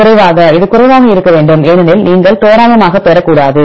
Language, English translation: Tamil, Less, it should be less because you should not get randomly